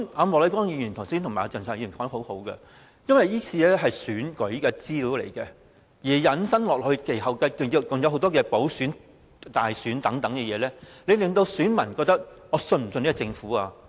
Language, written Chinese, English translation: Cantonese, 莫乃光議員和鄭松泰議員說得很好，由於這次失竊的是選舉資料，引申下去，其後還有很多的補選、大選等，選民會質疑可否信任這個政府？, Mr Charles Peter MOK and Dr CHENG Chung - tai have made a very good point . Since the incident involves the theft of election information it will have implications for subsequent by - elections and general elections . Electors will cast doubt on the trustworthiness of the Government